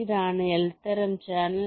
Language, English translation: Malayalam, this is the l type channel